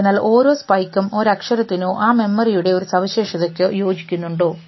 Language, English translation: Malayalam, So, is it possible that each spike corresponds to a letter or one feature of that memory